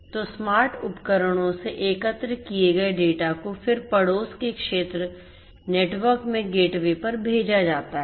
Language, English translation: Hindi, So, the data that are collected from the smart devices are then sent to the gateways in the neighborhood area network